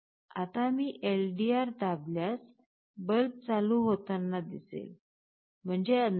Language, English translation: Marathi, Now if I press the LDR, you see the bulb is getting switched on; that means, there is darkness